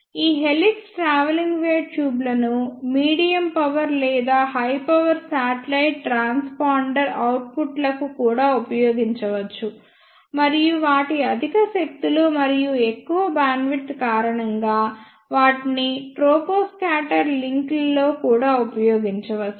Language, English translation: Telugu, These helix travelling wave tubes can also be used for medium power or high power satellite transponder outputs; and because of their higher powers and large bandwidth, they can also be used in troposcatter links